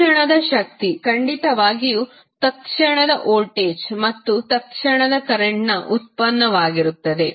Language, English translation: Kannada, Instantaneous power it will be definitely a product of instantaneous voltage and instantaneous current